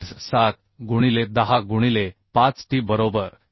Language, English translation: Marathi, 87 into 10 to the 5 t right